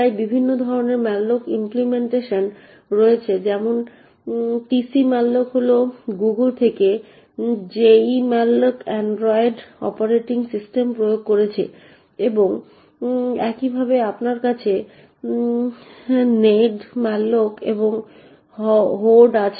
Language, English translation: Bengali, So there are a different variety of malloc implementations that are present, the tcmalloc for example is from Google, jemalloc is implementing in android operating systems and similarly you have nedmalloc and Hoard